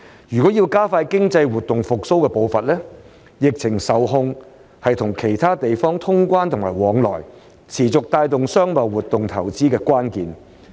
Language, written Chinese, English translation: Cantonese, 若要加快經濟活動復蘇的步伐，疫情受控是與其他地方通關和往返、持續帶動商貿活動投資的關鍵。, If we are to quicken the pace of resumption of economic activities then keeping the epidemic under control is the key to reopening borders and resuming travel with other places as well as promoting commerce trade and investment